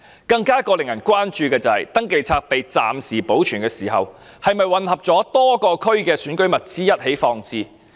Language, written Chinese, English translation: Cantonese, 更令人關注的是，登記冊被暫時保存時，是否混合了多個地區的選舉物資一起放置？, Of even greater concern is whether the Register was mixed with election materials for other districts during temporary storage